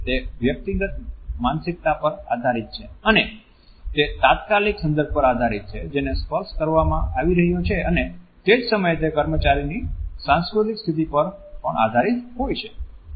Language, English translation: Gujarati, It depends on individual psyche it depends on the immediate context within which the touch is being offered and at the same time it also depends on the cultural conditioning of an employee